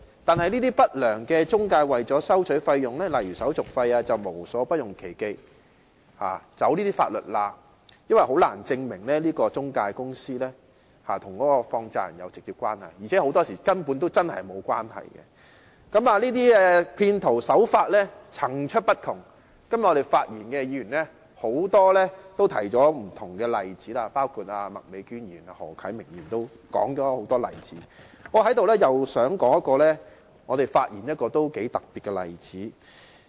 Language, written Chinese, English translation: Cantonese, 但是，這些不良中介為了收取費用便無所不用其極和利用法律漏洞，因為當局很難證明中介公司與放債人有直接關係，而且很多時候兩者的確沒有關係。這些騙徒的手法層出不窮，今天發言的議員都舉出了很多不同例子。我想在這裏說一個頗為特別的例子。, Yet those unscrupulous intermediaries have resorted to every conceivable means and exploited loopholes in law in order to charge fees because it is difficult for the authorities to prove that there is a direct relationship between the intermediaries and money lenders while in most cases there is in fact no relationship between them